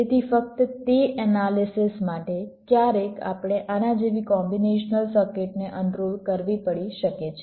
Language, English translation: Gujarati, so just for that analysis, sometimes we may have to unroll a sequential circuit like this